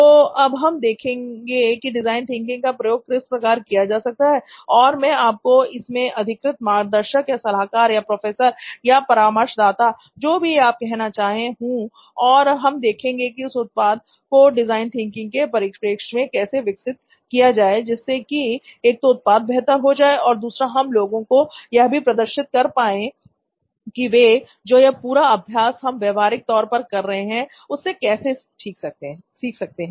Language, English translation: Hindi, So let us see, we will see how to use design thinking and I am going to be your let us say official guide, or consultant, okay professor, whatever mentor maybe and we will see how to evolve this in the design thinking perspective one in making your product better and two to see how to demonstrate to people how they can learn from the exercise that we are doing practically and get some lessons out of it, okay so thank you so much, thank you